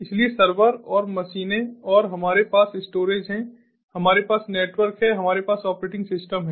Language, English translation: Hindi, so so servers and machines, then we have the storage, we have network, we have the operating system